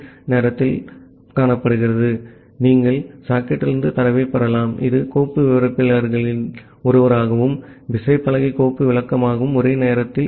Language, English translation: Tamil, So, you can get the data from the socket, which is one of the file descriptor as well as the keyboard file descriptor simultaneously